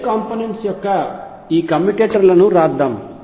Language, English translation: Telugu, Let us write these commutators of L components